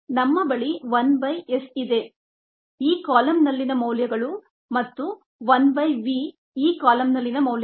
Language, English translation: Kannada, yes, we have one by s the values on this column, and one by v, the values on this column